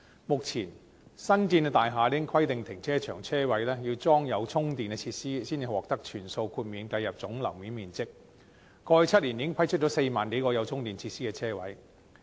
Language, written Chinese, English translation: Cantonese, 目前，新建大廈已規定停車場車位要安裝充電設施，才能獲得全數豁免計入總樓面面積，過去7年已批出4萬多個有充電設施的車位。, At present newly completed buildings are required to install charging facilities in the parking spaces in car parks in order for all to be granted exemption for inclusion as gross floor area . More than 40 000 parking spaces with charging facilities had been approved in the past seven years